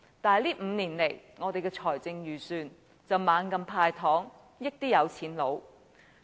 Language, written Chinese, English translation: Cantonese, 然而，這5年來，我們的財政預算案卻不斷"派糖"，惠及有錢人。, Nonetheless over the past five years our Budgets have continued to give away candies to benefit the rich